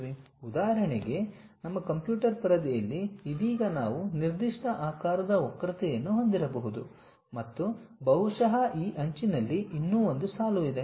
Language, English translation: Kannada, For example, on our computer screen right now we might be having a curve of that particular shape, and perhaps there is one more line on this edge